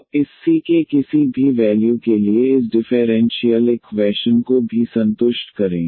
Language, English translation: Hindi, So, also satisfy this differential equation for any value of this c